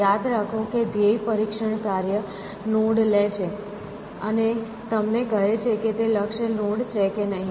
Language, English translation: Gujarati, Remember the goal test function takes a node, and tells you whether it is a goal node or not